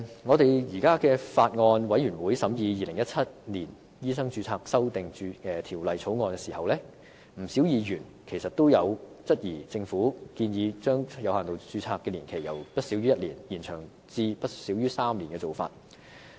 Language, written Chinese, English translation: Cantonese, 我們在法案委員會審議《2017年醫生註冊條例草案》時，不少議員都質疑政府建議將有限度註冊的年期由不少於1年延長至不少於3年的做法。, During our deliberation in the Bills Committee on Medical Registration Amendment Bill 2017 quite a large number of Members queried the Governments proposal for extending the validity period of limited registration from not exceeding one year to not exceeding three years